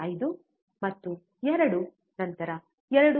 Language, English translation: Kannada, 5 then 2 then 2